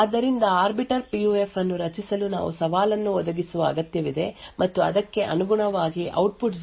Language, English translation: Kannada, So creating an Arbiter PUF would require that we provide a challenge and correspondingly determine whether the output is 0 and 1